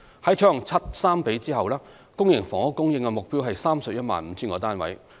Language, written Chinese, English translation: Cantonese, 在採用"七三比"後，公營房屋供應目標為 315,000 個單位。, With the adoption of a split of 70col30 the supply target for public housing is 315 000 units